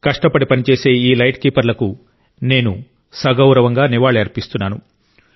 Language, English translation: Telugu, I pay respectful homage to these hard workinglight keepers of ours and have high regard for their work